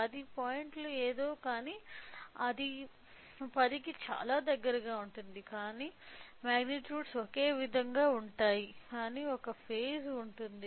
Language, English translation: Telugu, So, 10 point something, but it is very close to 10, but the magnitudes are magnitudes are same, but there is a phase